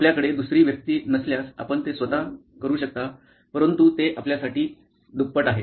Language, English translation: Marathi, If you do not have another person you can do it yourself but it will be double work for you